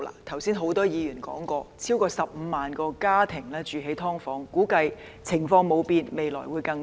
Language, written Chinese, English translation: Cantonese, 剛才很多議員也提及，超過15萬個家庭居於"劏房"，估計如果情況不變，未來會有更多。, Just now many Members said that over 150 000 families live in subdivided units and if the situation remains unchanged it is expected that there will be even more in the future